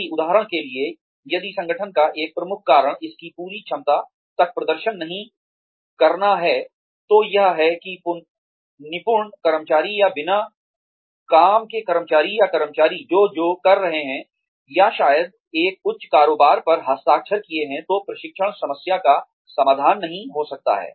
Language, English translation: Hindi, If, for example, if a major reason for the organization, not performing up to its full potential, is deviant employees, or uncommitted employees, or employees, who are, or maybe a high turnover, then training may not solve the problem